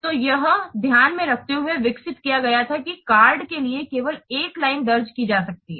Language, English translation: Hindi, So, it was developing in mind that only one line or yes, one line can be entered for a per card